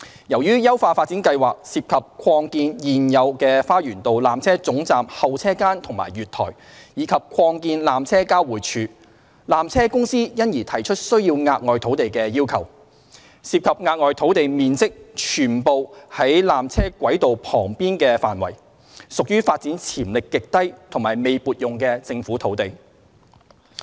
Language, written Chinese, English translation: Cantonese, 由於優化發展計劃涉及擴建現有的花園道纜車總站候車間及月台，以及擴建纜車交匯處，纜車公司因而提出需要額外土地的要求。涉及額外土地面積全部在纜車軌道範圍旁邊，屬於發展潛力極低及未撥用的政府土地。, As the upgrading plan involves expansion of the existing waiting area and platform at the Lower Terminus as well as extension of the passing loop PTC has requested additional pieces of Government land which are all adjacent to the tramway and are unallocated Government land of very low development potential